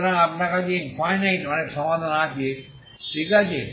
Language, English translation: Bengali, So you have infinite there are many solutions, okay